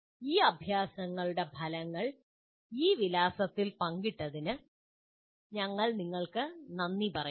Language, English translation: Malayalam, And we will thank you for sharing the results of these exercises at this address